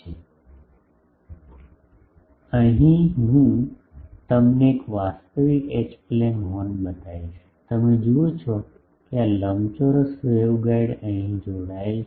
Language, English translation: Gujarati, So, here I show you a real H plane Horn, you see this was the rectangular waveguide gets connected here